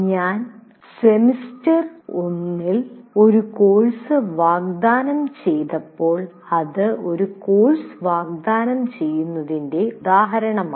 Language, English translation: Malayalam, When I offered a course, let's say in one semester, it is one instance of offering a course